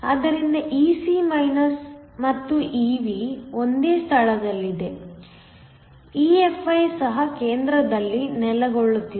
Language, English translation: Kannada, So, Ec and Ev are located in the same place, EFi will also be located in the center